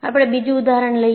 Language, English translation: Gujarati, We take another example